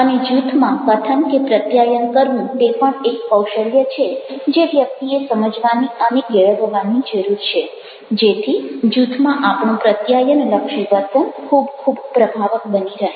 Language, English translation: Gujarati, so speaking or communicating in group is also an art one has to understand and develop so that our communication behavior in group become very, very effective